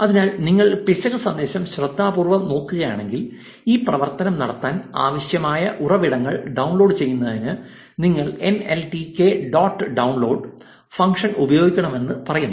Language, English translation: Malayalam, So, if you look at the error message carefully, it says that you should use this nltk dot download function to download the resources that are required to perform this operation